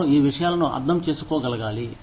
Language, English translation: Telugu, They should be able to understand, these things